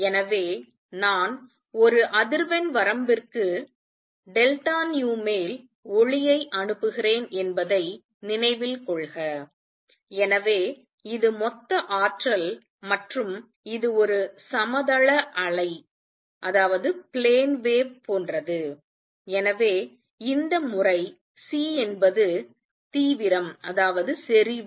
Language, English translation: Tamil, So, recall that I am sending light over a frequency range delta nu, so this is the total energy contained and this is like a plane wave so this time C is intensity